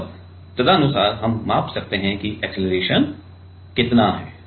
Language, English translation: Hindi, And, accordingly we can measure that how much is the acceleration